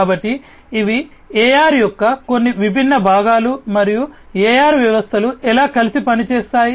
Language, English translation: Telugu, So, these are some of the different components of AR and how together the AR systems work ok